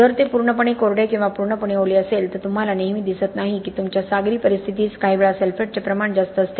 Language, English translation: Marathi, If you have completely dry, completely wet you do not always see that unless of course your marine conditions sometimes have very high amount of sulphates